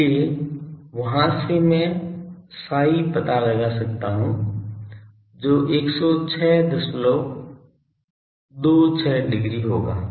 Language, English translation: Hindi, So, from there I can find out the psi value will be 106